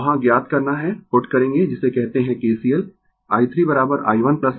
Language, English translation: Hindi, You have to find out here you will put what you call KCL i 3 is equal to i 1 plus i 2 right